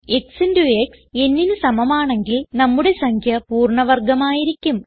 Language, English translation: Malayalam, If x into x is equal to n, the number is a perfect square